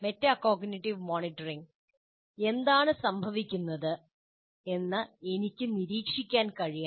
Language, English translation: Malayalam, Now coming to metacognitive monitoring, I should be able to observe what is happening